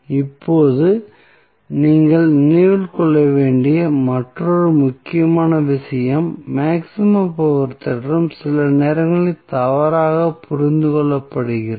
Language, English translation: Tamil, Now, another important thing which you have to keep in mind that maximum power theorem is sometimes misinterpreted